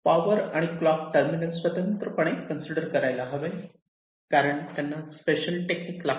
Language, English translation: Marathi, so clock and power shall be considered in separately because they require very special techniques